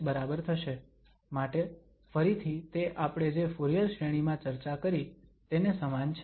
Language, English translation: Gujarati, So, that is again similar to what we have discussed for the Fourier series